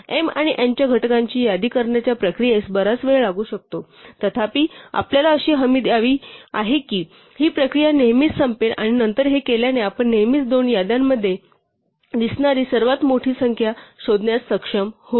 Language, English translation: Marathi, So, the process of listing out the factors of m and n may take a long time; however, we want to be guaranteed that this process will always end and then having done this we will always able to find the largest number that appears in both lists